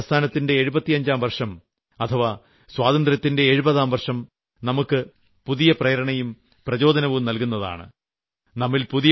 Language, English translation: Malayalam, The 75th year of Quit India and 70th year of Independence can be source of new inspiration, source of new enthusiasm and an occasion to take a pledge to do something for our nation